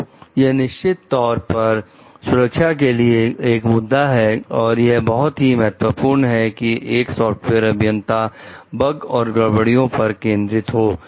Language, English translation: Hindi, So, that is why it is definitely an issue with the safety and it is very important for the software engineers to focus on the bugs and glitches